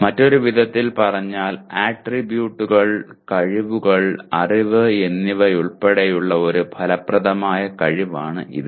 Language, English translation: Malayalam, In another words it is an affective ability including attributes, skills and knowledge